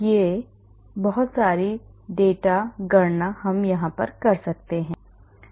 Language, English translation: Hindi, we can do lot of data calculations